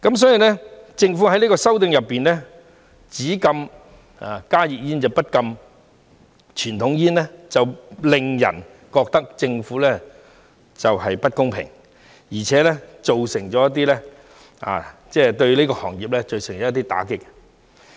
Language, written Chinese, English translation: Cantonese, 所以，政府在這項修訂中，只禁止加熱煙，不禁傳統煙，令人覺得政府不公平，而且會對這個行業造成一些打擊。, Therefore given that the Government only bans HTPs but not conventional cigarettes in this amendment exercise it makes people think that the Government is being unfair and it will deal a blow to the industry